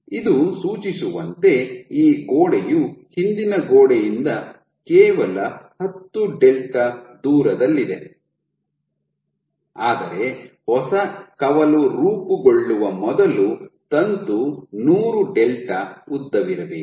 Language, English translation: Kannada, So, what this suggests is that the wall is only 10 delta away from the back wall, while it takes the filament has to be 100 delta in length before a new branch can form ok